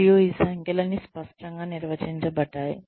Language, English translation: Telugu, And, all these numbers are clearly defined